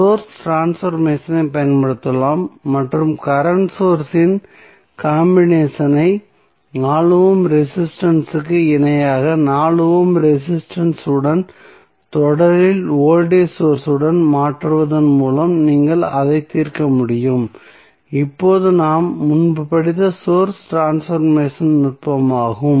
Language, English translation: Tamil, You can apply source transformation and you can solve it by converting the combination of current source in parallel with 4 ohm resistance with the voltage source in series with 4 ohm resistance that is the source transformation technique which we studied earlier